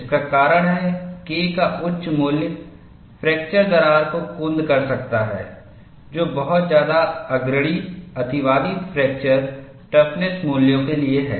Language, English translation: Hindi, The reason is, a high value of K may blunt the fatigue crack too much, leading to un conservative fracture toughness values